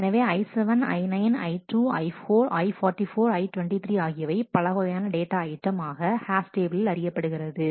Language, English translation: Tamil, So, I 7, I 9, 12, I 4, I 44, I 23 are different data items this is a hash table